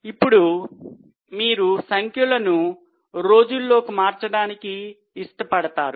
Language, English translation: Telugu, Now, would you like to convert it into number of days